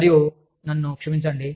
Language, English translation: Telugu, And, i am sorry